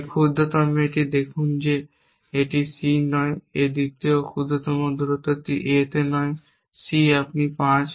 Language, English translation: Bengali, In that smallest this see that a not at C second smallest dist this at A not in C you are 5